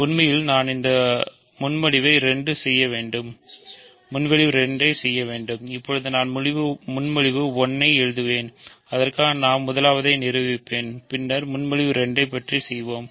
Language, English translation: Tamil, So, actually I should make this proposition 2 and I will write proposition 1 for now which I will prove first and then we will do proposition 2 ok